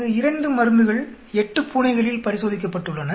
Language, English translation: Tamil, 2 drugs were tested on 8 cats here